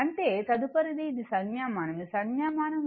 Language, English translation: Telugu, So, next is this is the notation this is the notation right